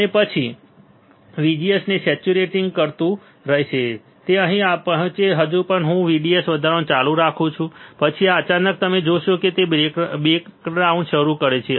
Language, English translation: Gujarati, And then it will keep saturating VGS it will reach here still I keep on increasing VDS still I keep on increasing VDS, then suddenly you will see that it starts breakdown